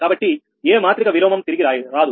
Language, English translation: Telugu, so no matric inversion is return